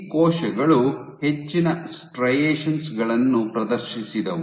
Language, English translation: Kannada, So, these cells exhibited lot more striations